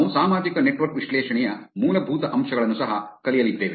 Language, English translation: Kannada, We will also learn the basics of social network analysis